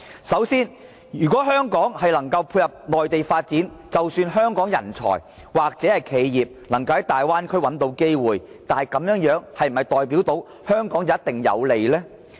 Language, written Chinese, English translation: Cantonese, 首先，如果香港能配合內地發展，即使香港人才或企業能在大灣區找到機會，但這是否代表必定有利於香港呢？, First even if Hong Kong can successfully tie in with the Mainlands development and both its talents or enterprises can find opportunities in the Bay Area will Hong Kong as a whole necessarily benefit?